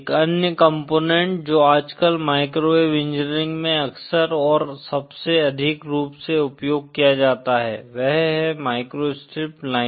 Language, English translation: Hindi, Another component that is frequently and most widely used in microwave engineering nowadays is the microstrip line